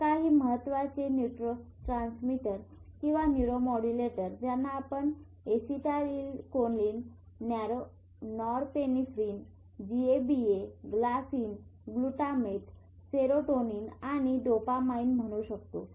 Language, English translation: Marathi, ACH is one of the, so few of the most important neurotransmitters or neuromodulators you can call them are esthylcholine, norapinephine, gaba, glycine, glutamate, serotonin, and dopamine